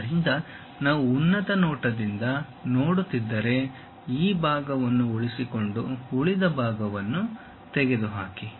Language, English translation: Kannada, So, if we are looking from top view retain this part, retain this part, remove this